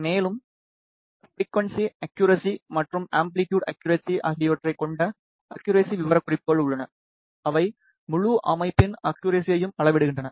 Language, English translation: Tamil, And, there are accuracy specifications we have frequency accuracy and amplitude accuracy, which measure the accuracy of the entire system